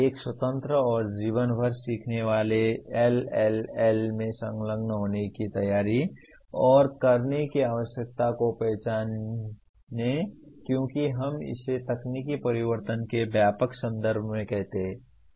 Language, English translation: Hindi, Recognize the need for and have the preparation and ability to engage in a independent and life long learning LLL as we call it in the broadest context of technological change